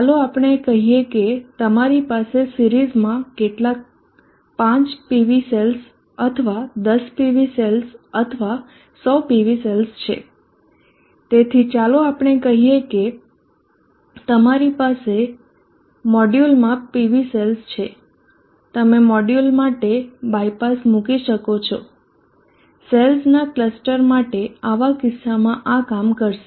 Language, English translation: Gujarati, Let us say you have some 5 PV cells, or 10 PV cell or 100 PV cells in the series, so let us say that you have PV cells in the module, you can put a bypass for a module for a cluster of cells in such a case this will work